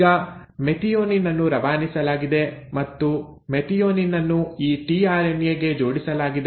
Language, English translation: Kannada, So now it has, methionine has been passed on and methionine is now linked to this tRNA